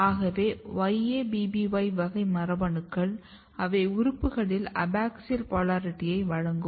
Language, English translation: Tamil, So, YABBY class of genes are the genes which regulates which provides abaxial polarity in the organ